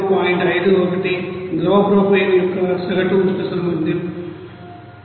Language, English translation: Telugu, 51, average heat capacity of liquid propane is 125